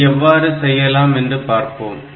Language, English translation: Tamil, So, how to do this